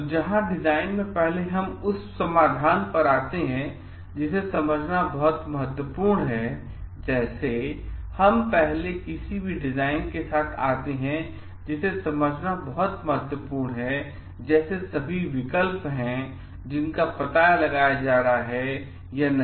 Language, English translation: Hindi, So and in design where before we come up to the solution which is very important to understand; like, before we come up with any design, it is very important to understand like have all alternatives being explored or not